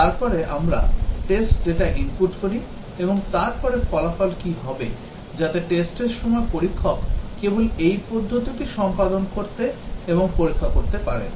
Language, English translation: Bengali, And then we input the test data and then what will be the result, so that the tester during testing can just carry out this procedure and check